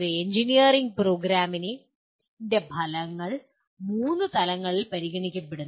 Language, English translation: Malayalam, The outcomes of an engineering program are considered at three levels